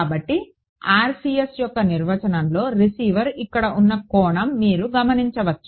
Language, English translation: Telugu, So, you notice that in the definition of the RCS the angle at which the receiver is here